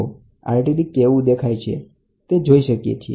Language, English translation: Gujarati, This is how an RTD looks like